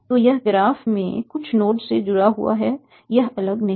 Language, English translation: Hindi, So it is connected to some of the node in the graph at least